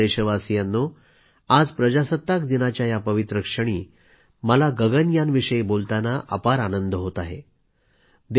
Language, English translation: Marathi, My dear countrymen, on the solemn occasion of Republic Day, it gives me great joy to tell you about 'Gaganyaan'